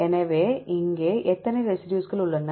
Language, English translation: Tamil, So, how many residues are here